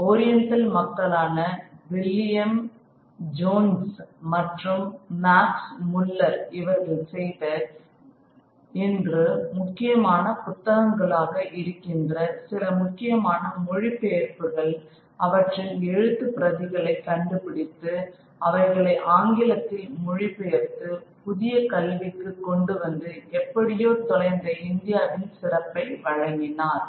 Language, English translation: Tamil, The orientalists people like William Jones and Max Muller they worked on some translating some of the very very important what today are important texts they hunted out these manuscripts they managed to discover them then translate them into into English and bring it to modern study and they presented them as a mark of the glory of India that has somehow been lost